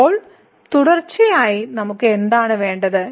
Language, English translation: Malayalam, So, now for the continuity what do we need